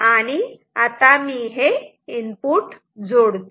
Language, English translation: Marathi, So, these are inputs